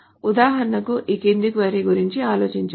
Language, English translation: Telugu, For example, we can think of the following query